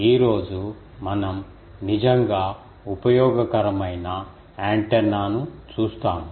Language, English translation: Telugu, Today we will see a really useful antenna